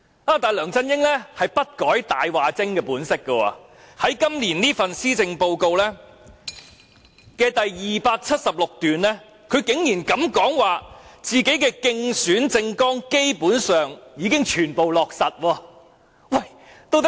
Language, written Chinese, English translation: Cantonese, 然而，梁振英不改其"大話精"本色，在今年的施政報告第276段竟膽敢說自己競選政綱的承諾基本上已全部落實。, However LEUNG Chun - yings nature as a big liar has not changed a bit and in paragraph 276 of the Policy Address this year he dared to say that all commitments in his election manifesto had basically been implemented